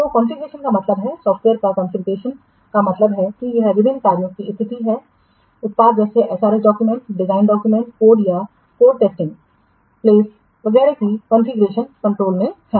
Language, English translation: Hindi, So, configuration means, configuration of software means it is the state of various work products such as HRS document, design documents, code, course, test plans, etc